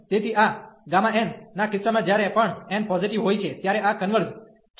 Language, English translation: Gujarati, So, in case of this gamma n whenever n is positive, this converges